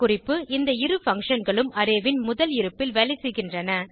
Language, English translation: Tamil, Note: Both these functions works at first position of an Array